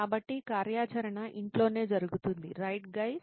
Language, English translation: Telugu, So the activity would be studying at home, right guys